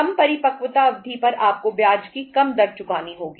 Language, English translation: Hindi, Shorter the maturity you have to pay the lesser rate of interest